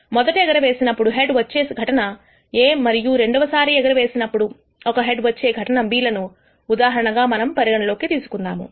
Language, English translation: Telugu, Let us consider this example of receiving a head in the first toss which is event A and receiving a head in the second toss which is event B